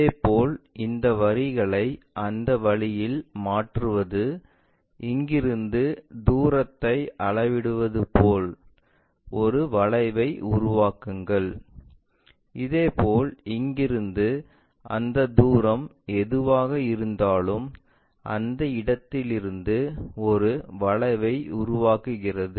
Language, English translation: Tamil, Similarly, transfer these lines in that way is more like from here measure the distance, make an arc; similarly, from here whatever that distance make an arc from that point